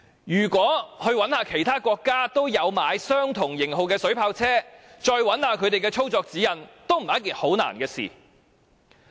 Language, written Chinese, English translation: Cantonese, 如果再到其他也有購買相同型號水炮車的國家搜尋其操作指引，亦絕非一件難事。, If we can locate the countries which have purchased water cannon vehicles of the same model it is certainly not difficult to find the operation guidelines from these countries